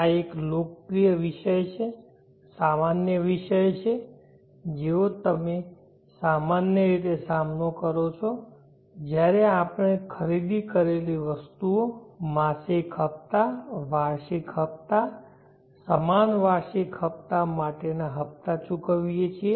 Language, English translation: Gujarati, This is a popular topic common topic which you would encounter commonly when we are paying installments for items that we purchase, monthly installments, annual installments, equal annual installments